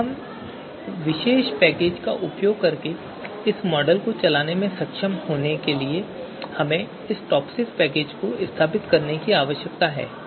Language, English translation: Hindi, Now to be able to you know run this model using this particular package we need to have this you know TOPSIS package installed